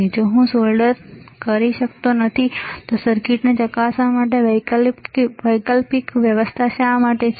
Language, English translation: Gujarati, If I cannot solder it why is there an alternative arrangement to test the circuit